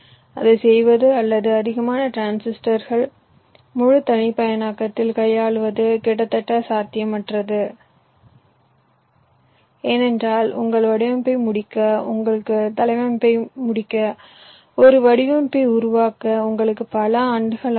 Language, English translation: Tamil, doing it or handling it in a full customer is almost next to imposed, because it will take you years to create a design, to complete your design, complete your layout